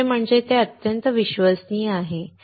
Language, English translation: Marathi, Second is that it is highly reliable